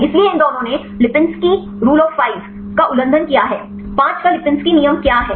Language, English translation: Hindi, So, these two violated the lipinski rule of 5; what is the lipinski rule of 5